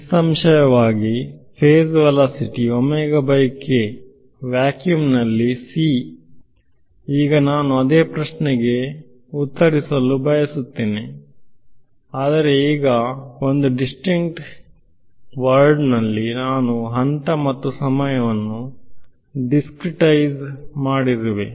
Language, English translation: Kannada, Obviously, the phase velocities omega by k which is c in vacuum; now, I want to answer the same question, but now on a in a discrete world where I have discretized phase and time